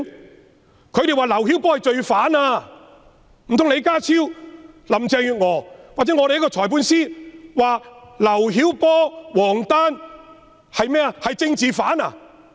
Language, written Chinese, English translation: Cantonese, 內地聲稱劉曉波是罪犯；難道李家超、林鄭月娥或律政司司長會說劉曉波、王丹是政治犯嗎？, Will it be possible that John LEE Carrie LAM or the Secretary for Justice also brands LIU Xiaobo and WANG Dan a political criminal?